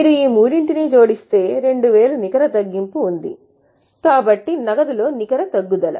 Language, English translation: Telugu, If you add these three, there is a net reduction of 2000